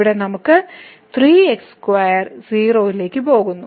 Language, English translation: Malayalam, So, here we are getting this square is going to